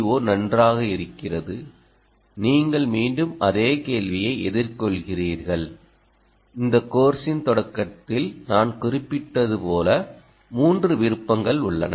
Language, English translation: Tamil, again, you are confronted with the same problem, as i mentioned in the starting of this course: three options